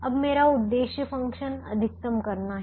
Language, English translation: Hindi, now my objective function is to maximize